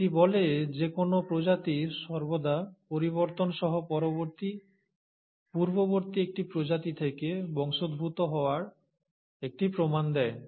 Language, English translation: Bengali, It says, any species always shows an evidence of descent from a previous a species with modifications